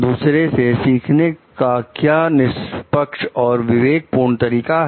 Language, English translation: Hindi, What are the fair and prudent means of learning from others